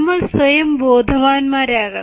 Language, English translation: Malayalam, we have to become self aware